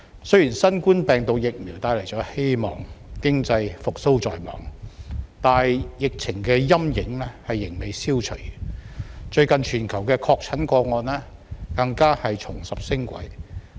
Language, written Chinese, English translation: Cantonese, 雖然新冠病毒疫苗帶來了希望，經濟復蘇在望，但疫情的陰影仍未消除，最近全球的確診個案更加重拾升軌。, Although the COVID - 19 vaccine has brought hope and economic recovery is in sight the shadow of the epidemic has not yet been eliminated . Recently confirmed cases in the world have resumed an upward trend